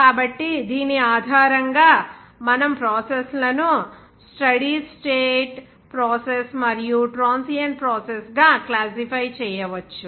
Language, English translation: Telugu, So, based on which we can classify the processes into the steady state process, even transient process also